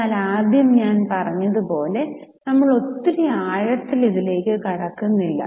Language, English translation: Malayalam, As I told you, we are not going into too much details